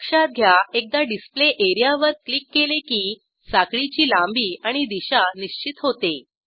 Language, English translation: Marathi, Note once we click on the Display area, the chain length and orientation of the chain are fixed